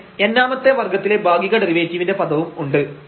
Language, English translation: Malayalam, So, these are the first order partial derivatives